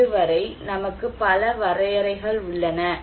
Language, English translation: Tamil, So far, we have so many definitions are there